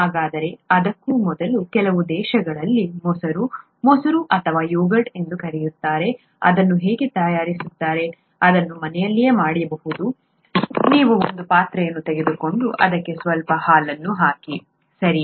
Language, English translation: Kannada, So before that how is curd made, curd or yoghurt as it is called in some countries, how is it made, it can be made at home, you take a vessel and you put some milk into it, right